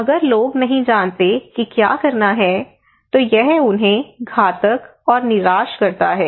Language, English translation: Hindi, So if people do not know what to do it makes them fatalist, it makes them frustrated